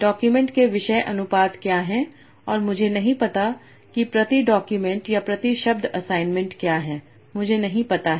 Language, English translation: Hindi, You have per document topic proportions and you also have per document per word topic assignment